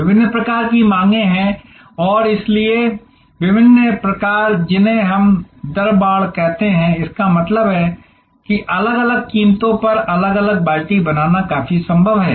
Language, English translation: Hindi, There are different types of demands and therefore, different types of what we call rate fencing; that means, creating different buckets at different prices become quite feasible